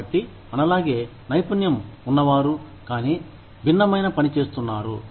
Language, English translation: Telugu, So, people, who are as trained, as skilled as us, but are doing, something different